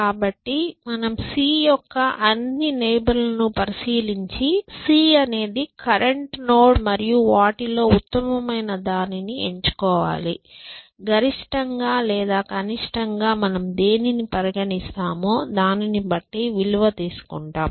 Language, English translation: Telugu, So, you look at all the neighborhood of c, c is a current node and take the best amongst them, max or min value depending on what you are doing